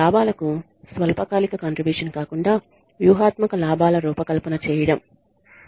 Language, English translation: Telugu, Designing of strategic gains rather than short term contribution to profits